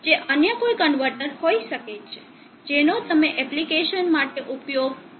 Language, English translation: Gujarati, It could be any other converter which you are using for the application